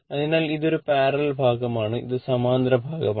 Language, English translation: Malayalam, So, this is a see this is series part and this 2 are parallel part